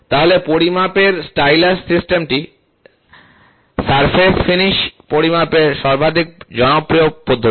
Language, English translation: Bengali, So, stylus system of measurement is the most popular method of measuring surface finish